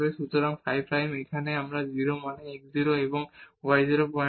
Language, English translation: Bengali, So, phi prime is here and at 0 means x 0 and y 0 point